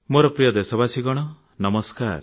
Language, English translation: Odia, My dearest countrymen namaskar